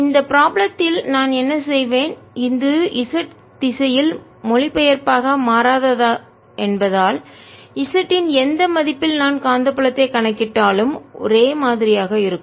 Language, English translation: Tamil, what i'll do in this problem is, since this is translationally invariant in the z direction, no matter at what value of z i calculate, the magnetic field is going to be the same